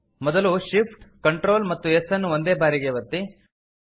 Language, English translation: Kannada, First press Shift, Ctrl and S keys simultaneously